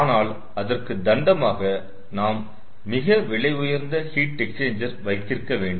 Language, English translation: Tamil, but we have to pay a penalty that we have to have very good heat exchanger, costly heat exchanger